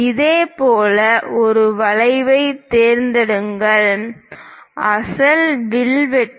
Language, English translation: Tamil, Similarly, pick an arc; cut the original arc